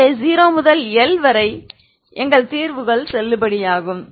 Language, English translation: Tamil, So between 0 to L we have our solutions are valid